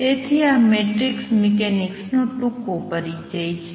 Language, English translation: Gujarati, So, this is a brief introduction to matrix mechanics